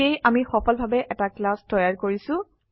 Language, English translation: Assamese, Thus we have successfully created a class